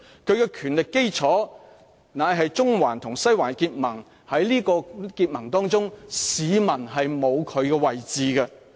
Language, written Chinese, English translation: Cantonese, 他的權力基礎是中環與西環的結盟，市民在結盟當中是沒有位置的。, The basis of his powers was built on the coalition between Central District and Western District in which members of the public have no place whatsoever